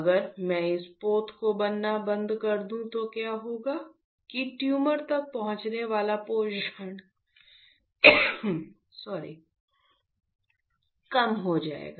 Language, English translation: Hindi, If I stop the formation of this vessel what will happen, that the nutrition reaching to the tumor will reduce isn’t it